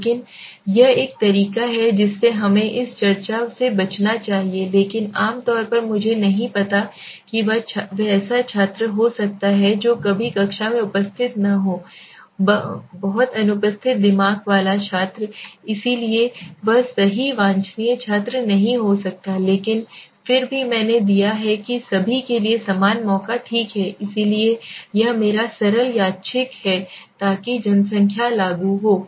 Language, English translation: Hindi, But this is a way to thing we should not we should avoid this discussion but generally I do not know whether he might be a student who is never attending the class is very absent minded student so he might not be the right desirable student but still I have given equal chance to everybody okay so this is my simple random so the population applicable